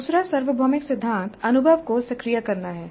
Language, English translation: Hindi, The second universal principle is activating the experience